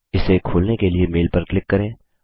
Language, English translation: Hindi, Click on the mail to open it